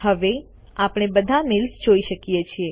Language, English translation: Gujarati, We can view all the mails now